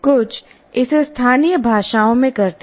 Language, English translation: Hindi, Some of them they do it in local language